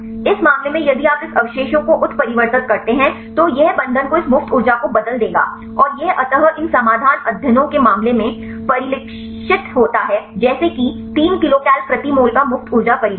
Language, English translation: Hindi, In this case if you mutate this residue this will change the binding this free energy and this eventually reflected in the case of these solution studies like the free energy change of 3 kilocal per mole